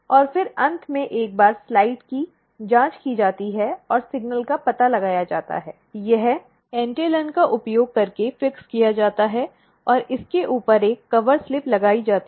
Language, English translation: Hindi, And, then at the end once the slide is probed and the signal is detected, it is fixed using entellan and a cover slip is placed on it